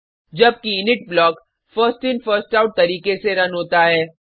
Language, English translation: Hindi, BEGIN blocks always get executed in the First In First Out manner